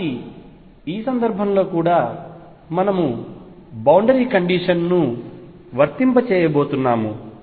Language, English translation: Telugu, So, in this case also we are going to apply the boundary condition